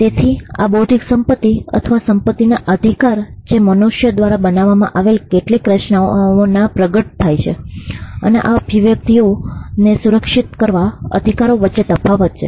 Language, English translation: Gujarati, So, there is a distant distinction between intellectual property or the rights of property that manifest in certain creations made by human beings, and the right that protects these manifestations